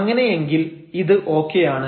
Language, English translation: Malayalam, So, in that case it is fine